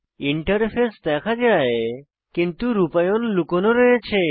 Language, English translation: Bengali, The interface is seen but the implementation is hidden